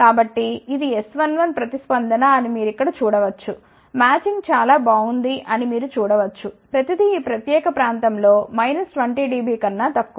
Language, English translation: Telugu, So, you can see here this is the S 1 1 response, you can see the matching is fairly good everything is less than minus 20 dB in this particular region